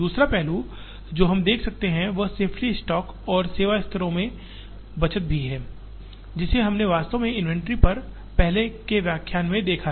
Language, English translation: Hindi, The other aspect that we can see, is also the saving in safety stock and in service levels, which we have actually seen in an earlier lecture on inventory